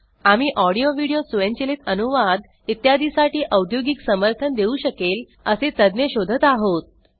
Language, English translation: Marathi, We are also looking for experts who can give technology support for audio, video, automatic translation, etc